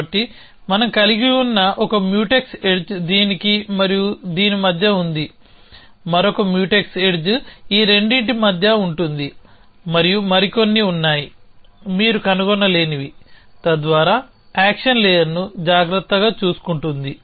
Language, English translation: Telugu, So, one Mutex edge that we have is between this and this, another Mutex edge is between these two, and there are others, of course that you can find, so that takes care of the action layer